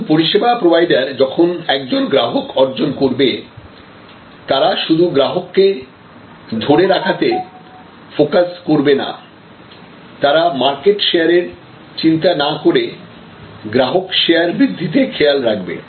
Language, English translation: Bengali, So, that a service provider once they have a customer, they will focus not only on retention of that customer, but they will try to see how they can increase their customer share rather than focusing on market share